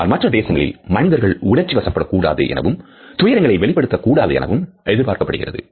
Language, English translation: Tamil, However, in other countries it is expected that a person will be dispassionate and not show grief